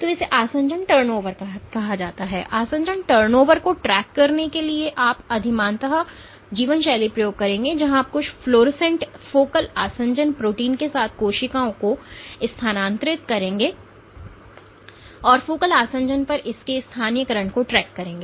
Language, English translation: Hindi, So, this is called adhesion turnover and in order to track adhesion turnover you would preferentially do lifestyle experiments, where you would transfer cells with some fluorescent focal adhesion protein, and track its localization at the focal adhesion